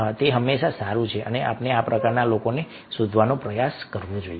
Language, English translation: Gujarati, so always it is good and we should try to ah, look for these type of people